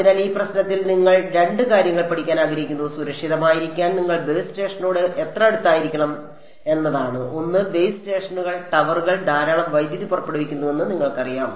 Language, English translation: Malayalam, So, let us say in this problem you want to study two things; one is how close should you be to the base station to be safe; you know that base stations towers they put out a lot of power